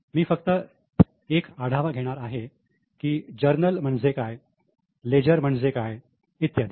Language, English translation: Marathi, I will just give an overview as to what is journal, what is leisure and so on